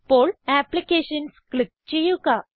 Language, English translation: Malayalam, Now, lets click on Applications and then on Office